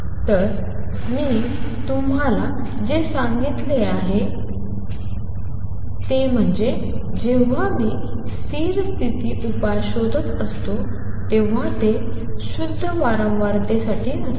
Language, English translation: Marathi, So, what I have told you is that when I am looking for stationary state solutions, these are not for pure frequency